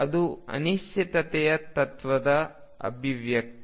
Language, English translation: Kannada, This is the manifestation of the uncertainty principle